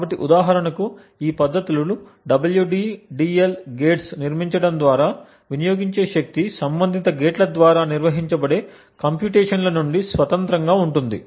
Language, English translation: Telugu, So, these techniques for example the WDDL gates would are built in such a way so that the power consumed is independent of the computations that are performed by the corresponding gates